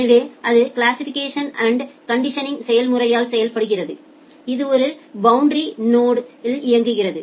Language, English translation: Tamil, So that are done by the classification and the conditioning process, which is running in a boundary node